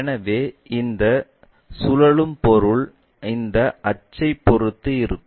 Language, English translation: Tamil, So, this revolving objects is about this axis